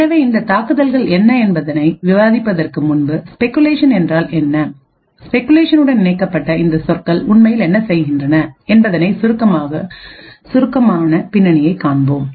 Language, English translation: Tamil, So before we go into what these attacks are, so let us have a brief background into what speculation means and what these terms connected to speculation actually do